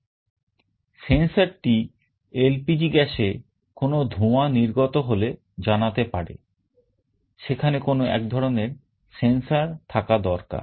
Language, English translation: Bengali, The sensor should be able to respond to LPG gas fumes, there has to be some kind of a sensor in that way